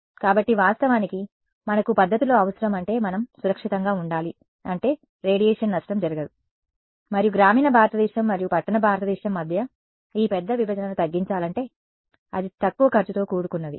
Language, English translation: Telugu, So, of course, we need methods that are we have to be safe means no radiation damage, and if this big divide between rural India and urban India has to be bridged then it has to be inexpensive quick